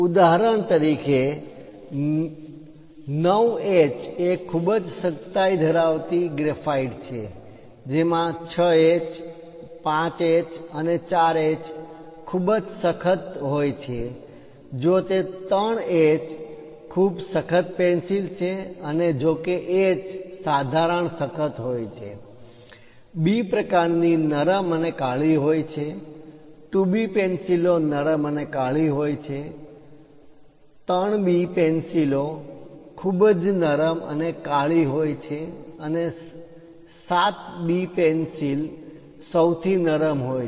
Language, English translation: Gujarati, For example, a 9H is very hardest kind of graphite one will having 6H, 5H and 4H extremely hard; if it is 3H very hard pencil and if it is H moderately hard, if it is a B type moderately soft and black, 2B pencils are soft and black, 3B pencils are very soft and black and 7B pencils softest of all